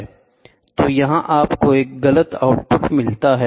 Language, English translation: Hindi, So, here you get an incorrect output